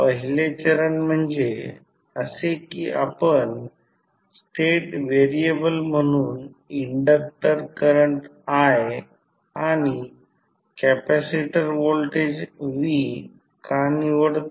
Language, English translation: Marathi, First step is that what we will select the inductor current i and capacitor voltage v as a state variable